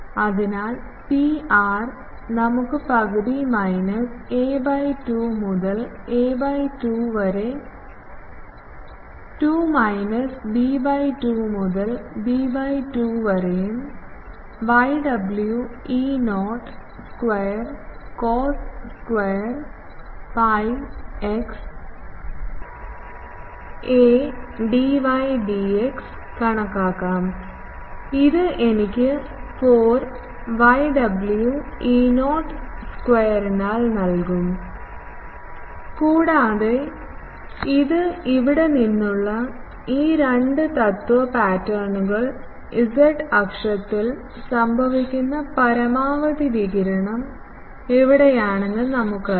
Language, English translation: Malayalam, So, Pr we can calculate half minus a by 2 to a by 2 minus b by 2 to b by 2 and w E not square cos square pi x by a dy dx, this will give me ab by 4 and we know from the this, these two principle patterns from here, we know where is the maximum radiation happening it is along z axis